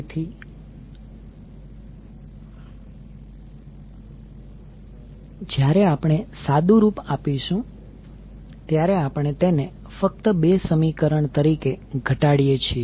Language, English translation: Gujarati, So when we simplify we are reduced to only 2 equations